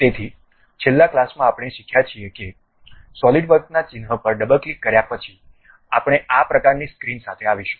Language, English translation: Gujarati, So, in the last class, we have learnt that after double clicking the Solidworks icon, we will end up with this kind of screen